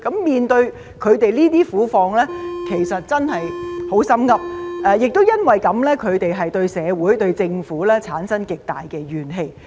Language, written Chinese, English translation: Cantonese, 面對他們這些苦況，其實真的很"心噏"，他們亦因此而對社會和政府產生極大的怨氣。, It is most saddening and upsetting to see them being caught in such an impasse . This also explains why they have harboured extremely great resentment against society and the Government